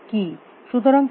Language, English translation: Bengali, So, what is the task